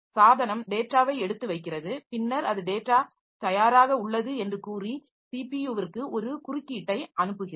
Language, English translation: Tamil, O request the device puts the data and then it sends an interrupt to the CPU telling that the data is ready